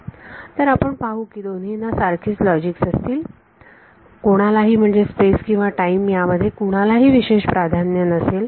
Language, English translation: Marathi, So, we will see that the same logic there is nothing special there is no special preference to space over time